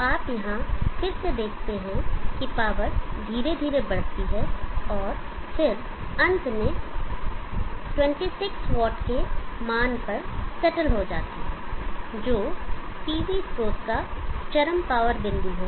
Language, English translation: Hindi, So you see here again that the power gradually forwards and then finally settles at around the 26 vat value which is the peak power point of the PV source